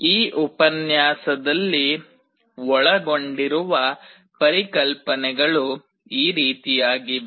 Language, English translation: Kannada, The concepts that will be covered in this lecture are like this